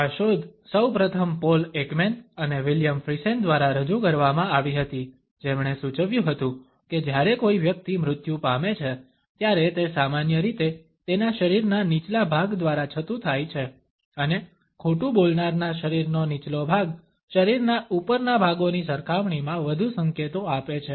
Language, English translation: Gujarati, This finding was first of all put forward by Paul Ekman and William Friesen, who suggested that when a person dies, then it is normally revealed by the lower part of his body and the lower part of the liers body communicates more signals in comparison to the upper body portions